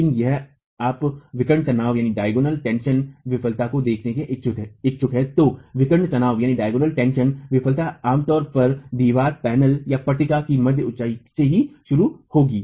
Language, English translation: Hindi, But if you are interested to look at the diagonal tension failure, diagonal tension failure would typically begin from the mid height of the wall panel itself